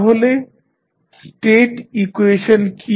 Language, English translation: Bengali, So, what is the state equation